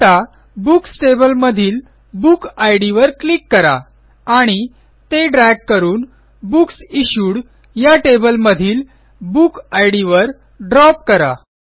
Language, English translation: Marathi, Now, let us click on the Book Id in the Books table and drag and drop it on the Book Id in the Books Issued table